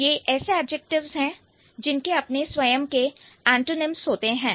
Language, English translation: Hindi, So, these adjectives have opposite meanings